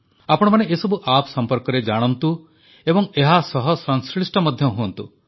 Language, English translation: Odia, Do familiarise yourselves with these Apps and connect with them